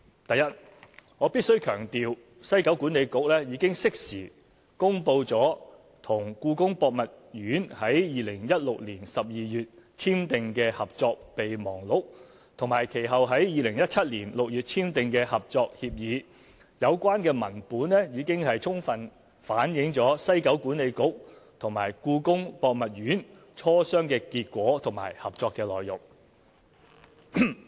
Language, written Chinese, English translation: Cantonese, 第一，我必須強調，西九管理局已經適時公布與故宮博物院於2016年12月簽訂的《合作備忘錄》，以及其後在2017年6月簽訂的《合作協議》，有關文本已經充分反映西九管理局與故宮博物院磋商的結果和合作的內容。, First I must stress that WKCDA had timely published the Memorandum of Understanding MOU it signed with the Palace Museum in December 2016 and the Collaborative Agreement subsequently signed in June 2017 . These documents had fully reflected the results of the negotiations between WKCDA and the Palace Museum and details of the collaboration